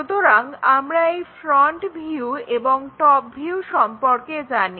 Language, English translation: Bengali, So, somehow, we know this front view and this top view also we know